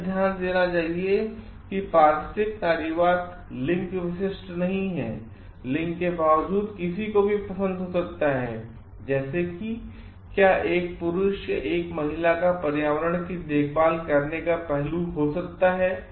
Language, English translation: Hindi, It should be noted that ecofeminism, it is not gender specific anybody irrespective of gender can have like whether a man or a woman can have a caring aspect, caring nature to the environment